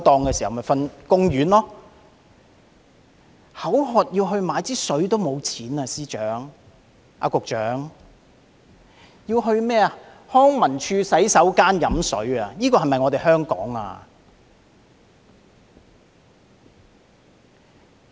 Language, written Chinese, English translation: Cantonese, 局長，他連口渴買水的錢也沒有，要到康文署的洗手間喝水，這是否我們的香港呢？, Secretary he did not even afford to buy drinking water when he was thirsty and had to drink the water collected from the LCSD toilets . Is this our Hong Kong?